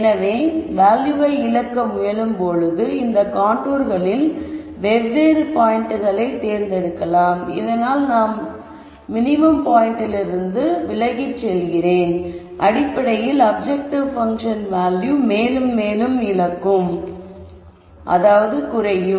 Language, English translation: Tamil, So, if I am willing to give up something that basically means I am going and sitting on different points on this contours and as I am pushed away and away from this minimum point I am losing more and more in terms of the objective function value